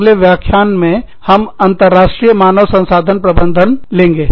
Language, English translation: Hindi, We will take up, International Human Resources Management, in the next lecture